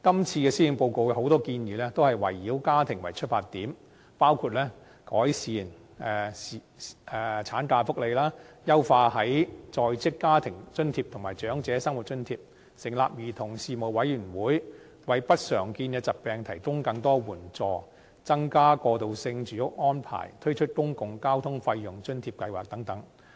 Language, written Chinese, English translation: Cantonese, 這份施政報告有很多建議，都是圍繞家庭為出發點，包括改善產假福利、優化低收入在職家庭津貼及長者生活津貼、成立兒童事務委員會、為不常見疾病提供更多援助、增加過渡性住屋供應、推出公共交通費用補貼計劃等。, Quite a lot of proposals in the Policy Address are oriented toward families such as enhancing maternity leave perfecting the Low - income Working Family Allowance and the Old Age Living Allowance setting up a Commission on Children providing more assistance to patients with uncommon diseases increasing the supply of transitional housing and introducing the Public Transport Fare Subsidy Scheme